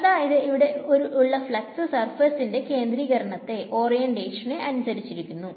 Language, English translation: Malayalam, So, there is a flux that is depends on the orientation of the surface